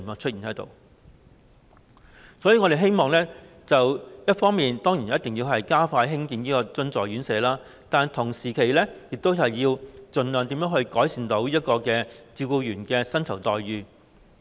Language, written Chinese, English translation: Cantonese, 所以，一方面，我們希望一定要加快興建津助院舍，同時，亦希望要盡量改善照顧員的薪酬待遇。, Therefore on the one hand we hope that the construction of subsidized residential care homes will be speeded up and on the other hand we also hope that the remuneration package of caregivers can be improved as much as possible